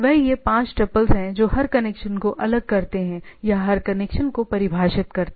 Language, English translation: Hindi, So, they are in they are these five tuple distinguishes stuff distinguishes every connection or defines every connections